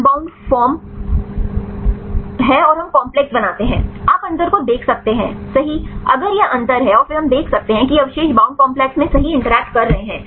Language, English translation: Hindi, So, this is the unbound form and we make the complex, you can see the difference right then if this is the difference right and then we can see that these residues are interacting right in the bound the complex